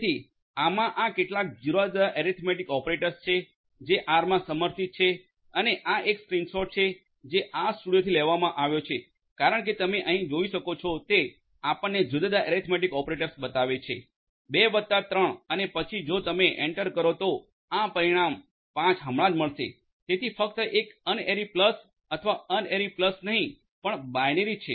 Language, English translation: Gujarati, So, these are some of these different arithmetic operators that are supported in R and this is a screen shot that is taken from RStudio as you can see over here it will show you the different arithmetic operators 2 plus 3 and then if you hit enter you will get this result 5 right so this is just a this is just a unary plus or rather not the unary plus, but the binary